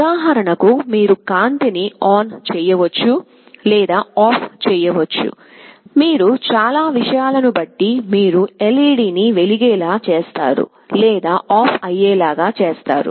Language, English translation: Telugu, Like for example, you can turn on or turn off a light, you can glow an LED, you can turn it off depending on so many things